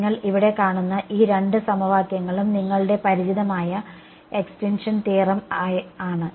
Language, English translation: Malayalam, These two equations that you see over here they are your familiar extinction theorem right